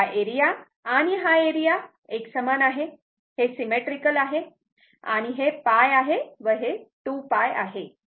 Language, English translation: Marathi, This area and this area, it is same it is symmetrical and this is pi this is 2 pi